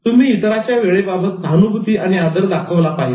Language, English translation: Marathi, And you should be empathetic about others' time